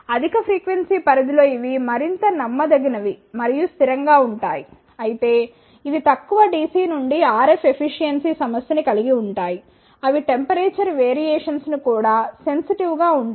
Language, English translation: Telugu, They are more reliable and stable at higher frequency range, but this suffers with the low dc to RF efficiency, they are also sensitive to the temperature variations